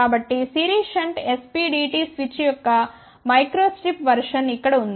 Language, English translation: Telugu, So, here is a micro strip version of series shunt SPDT switch